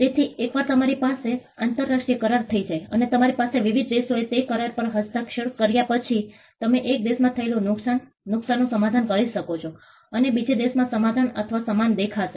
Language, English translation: Gujarati, So, once you have an international agreement, and you have various countries who have signed to that agreement, you can harmonize the loss, loss in one country and the other country can look similar or the same